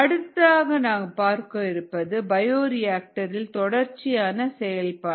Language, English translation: Tamil, next let us look at the bioreactor operation modes